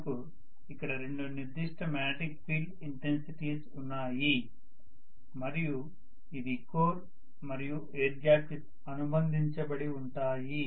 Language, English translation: Telugu, I have two specific magnetic field intensities, let us say associated with the core and associated with the air gap